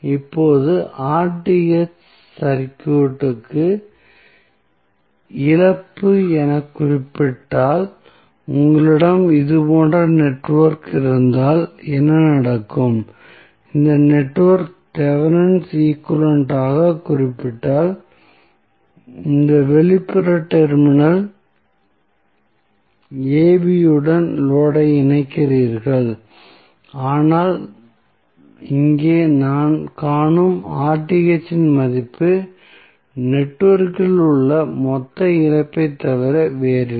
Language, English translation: Tamil, Now, if Rth is represented as loss of the circuit, so, what happens if you have the network like this and you are connecting load to this external terminal AB if this network is represented as Thevenin equivalent, but, the value of Rth which we are seeing here is nothing but total loss which is there in the network